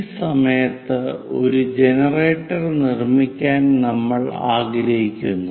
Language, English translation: Malayalam, We would like to construct a generator at this point